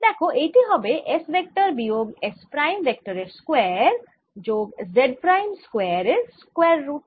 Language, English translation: Bengali, so this is going to be square root of s vector minus s prime vector, square plus z prime square